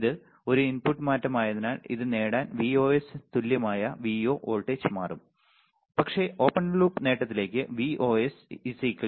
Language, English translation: Malayalam, Since this is an input change the output voltage will change by Vo equals to Vos in to gain this is nothing, but Vos is 3